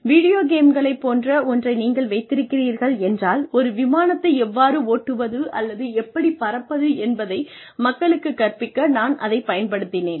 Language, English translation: Tamil, You have these, something similar to video games, that I used to teach people, how to drive an, or how to fly an Airplane